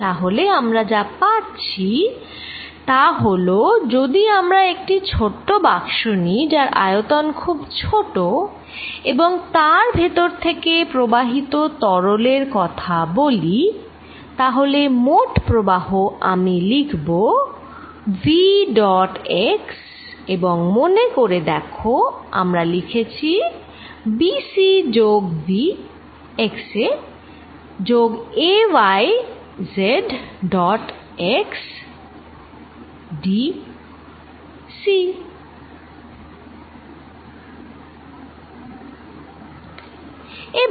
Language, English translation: Bengali, So, what we found is that if I take a small box a very small volume and talk about this fluid flow through this, then the net flow with now I am going to write as v dot x and we had written remember b c plus v at x plus a y z dot x d c